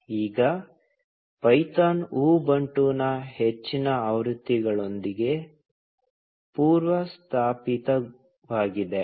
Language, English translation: Kannada, Now, python comes preinstalled with most versions of Ubuntu